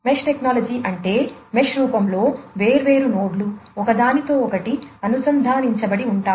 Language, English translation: Telugu, Mesh topology is one where the different nodes are connected to one another in the form of a mesh